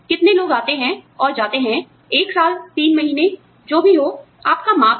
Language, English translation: Hindi, How many people come and go, over a period of one year, three months, whatever, your measure is